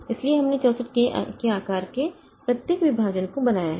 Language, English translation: Hindi, So, we have created each partition of size 64k